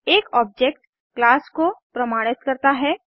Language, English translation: Hindi, Which means an object is created from a class